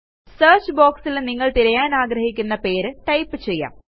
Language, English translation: Malayalam, You can type in the name of the site that you want to search for in the search box